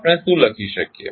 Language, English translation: Gujarati, What we can write